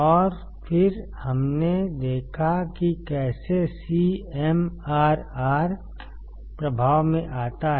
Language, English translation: Hindi, And then we have seen how CMRR comes into play